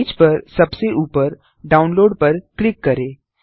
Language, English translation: Hindi, Click on Download at the top of the page